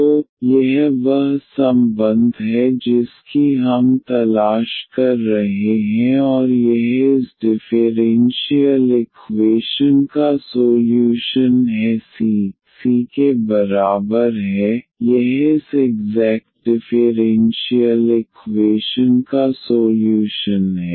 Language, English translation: Hindi, So, that is the relation we are looking for and this is the solution of this differential equation f is equal to c, this is the solution of this exact differential equation